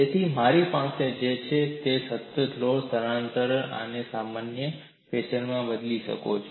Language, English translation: Gujarati, So, what I have is, the load and displacement may vary in a generic fashion like this